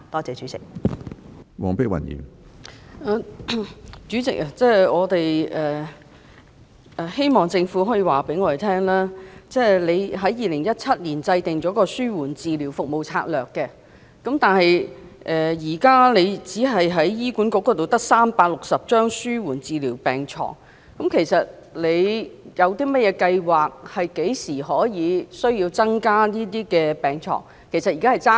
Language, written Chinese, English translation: Cantonese, 主席，希望政府可以告訴我們，雖然醫管局於2017年制訂了《紓緩治療服務策略》，但現時只有360張紓緩治療病床。其實，局長有甚麼計劃、何時可以增加這些病床？, President I hope the Government can tell us while HA developed the Strategic Service Framework for Palliative Care in 2017 there are only 360 palliative care beds now in fact what plans does the Secretary actually have and when can the number of these beds be increased?